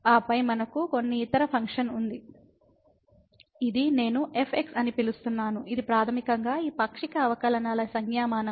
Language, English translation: Telugu, And then we have some other function which I am calling as which is basically the notation of this a partial derivatives